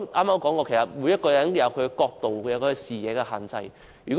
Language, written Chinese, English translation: Cantonese, 我剛才也說過，每個人也有各自的角度及視野的限制。, As I said just now everyone has his own limitations in his angle and perspective